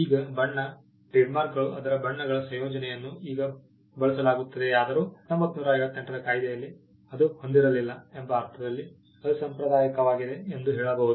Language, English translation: Kannada, Now colour trademarks though its combination of colours is now used, but unconventional in the sense that it was not there in the 1958 act